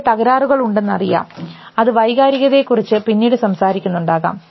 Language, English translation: Malayalam, We know that there are damages which will talk about emotions later also